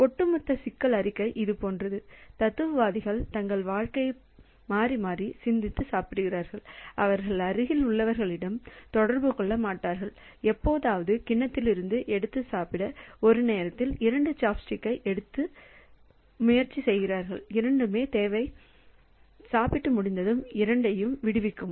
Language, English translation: Tamil, So, this is the situation the overall problem statement is like this that philosophers spend their lives alternating thinking and eating, they do not interact with their neighbors occasionally try to pick up two chopsticks one at a time to eat from the bowl and need both to eat and then release both when done